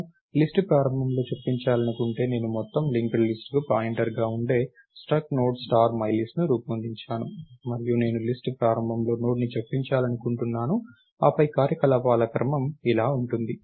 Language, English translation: Telugu, And if I want to insert at the beginning of the list, lets say I have struct Node star myList thats the pointer to the whole linked list, and I want to insert a Node at the beginning of the list, then the sequence of operations would look like this